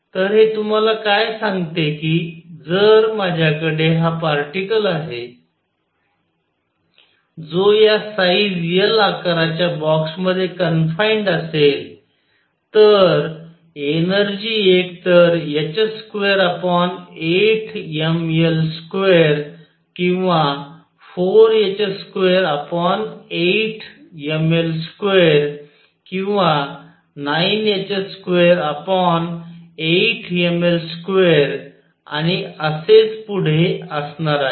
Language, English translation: Marathi, So, what this tells you is that if I have this particle in a box confined between of size L, the energy is equal to either h square over 8 m L square or 4 h square over 8 m L square or 9 h square over eight m L square and so on